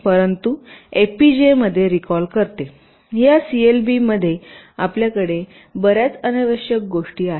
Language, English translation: Marathi, but in fpga you recall, inside this clbs your have lot of unnecessary things